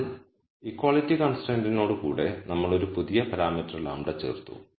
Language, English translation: Malayalam, But with an equality constraint we have added a new parameter lambda